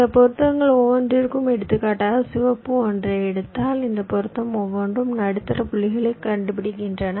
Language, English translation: Tamil, then, for each of these matchings we have found out, like, for example, if i take the red one, suppose you have take the red one, but each of these matchings, well, find the middle points